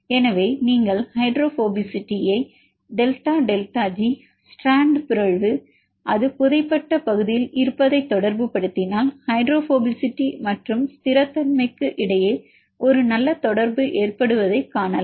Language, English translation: Tamil, So, if you relate the hydrophobicity with delta delta G with the mutation is in the strand and it is in the buried region you can see a good correlation between hydrophobicity and stability